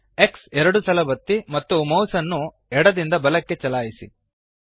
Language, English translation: Kannada, press X twice and move the mouse left to right